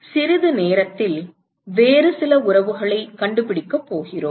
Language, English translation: Tamil, We are going to find a couple of other relationships in a short while